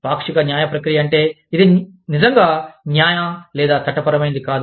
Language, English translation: Telugu, Quasi judicial process means, it is not really judicial or legal